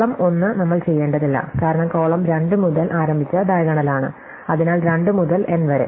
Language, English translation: Malayalam, So, column 1 we do not have to do because that is the diagonal in which we started column 2 onwards, so 2 to n